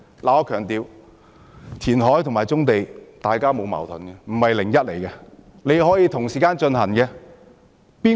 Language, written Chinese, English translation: Cantonese, 我想強調，填海和棕地之者完全沒有矛盾，可以同時進行。, I wish to emphasize that there is no conflict at all between reclamation and development of brownfield sites . Both can be undertaken simultaneously